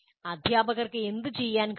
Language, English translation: Malayalam, And what can the teachers do